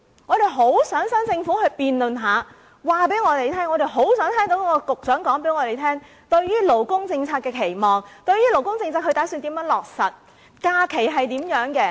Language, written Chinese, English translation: Cantonese, 我們很想跟新政府辯論一番，我們很想聽聽局長交代新政府對於勞工政策的期望，打算如何落實相關政策，假期如何處理等。, We really wish to have a debate with the Government and to hear what the relevant Bureau Director has got to say about the expectation of the new Government in terms of labour policy what are their plans for implementing it how the issue of holidays will be handled etc